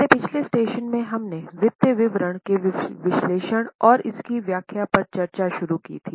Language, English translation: Hindi, In our last session we had started of financial statement and its interpretation